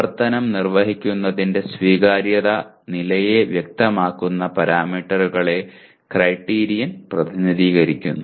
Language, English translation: Malayalam, Criterion represents the parameters that characterize the acceptability levels of performing the action